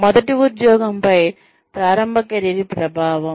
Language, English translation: Telugu, Early career, impact of the first job